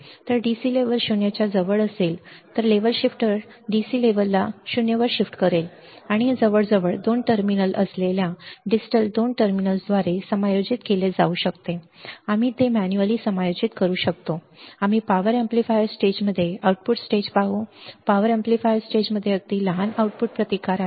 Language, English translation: Marathi, So, DC level would be ca close to 0 level shifter will shift DC level to 0 and this can be adjusted by nearly by a distal 2 terminals bearing 2 terminals, we can adjust it manually we will see output stage in a power amplifier stage in a power amplifier stage has very small output resistance right